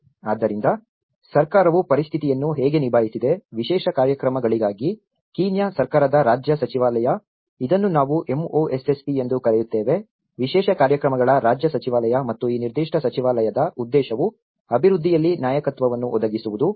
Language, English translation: Kannada, So, how the government have tackled with the situation, the Government of Kenyaís ministry of state for special programs, which we call it as MoSSP, the Ministry of State for Special Programs and this particular ministryís mission is to provide the leadership in the development of risk reduction measures and disaster management, within Kenya